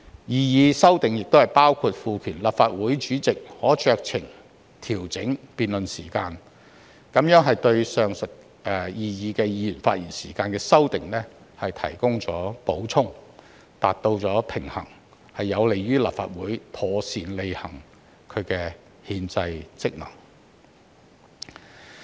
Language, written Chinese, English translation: Cantonese, 擬議修訂亦包括賦權立法會主席可酌情調整辯論時限，這對上述擬議議員發言時間的修訂提供了補充，達至平衡，有利於立法會妥善履行其憲制職能。, The proposed amendments also include empowering the President to adjust the time limits on debates with his discretion . This is to supplement the proposed amendment concerning the length of Members speeches in order to strike a balance and enable the Council to discharge its constitutional functions properly